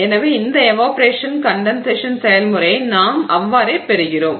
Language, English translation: Tamil, So, so this is an evaporation and condensation process